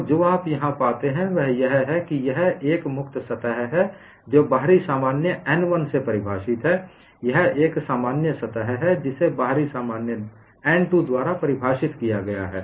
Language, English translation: Hindi, So, what you find here is, this is a free surface defined by outward normally n 1; this is a free surface defined by outward normal n 2